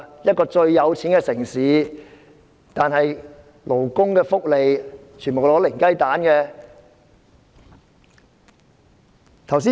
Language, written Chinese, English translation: Cantonese, 這個富裕的城市在勞工福利方面只得零分。, This affluent city only gets zero mark in terms of labour welfare